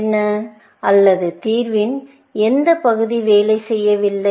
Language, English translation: Tamil, What is, or which part of the solution is not working